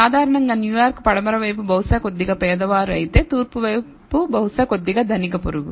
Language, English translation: Telugu, Typically New York Westside is probably a little poorer whereas, the east side probably is a little richer neighborhood